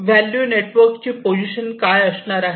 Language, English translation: Marathi, And what is the position in the value network